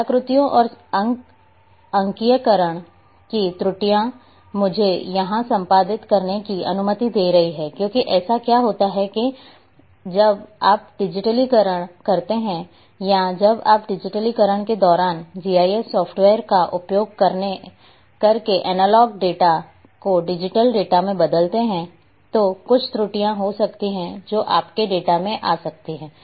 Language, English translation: Hindi, Artifacts and digitizing errors let me allow edit here, because what happens that when you digitize or when you convert the analog data into a digital data using a GIS software during digitization there might be some errors which may come in your data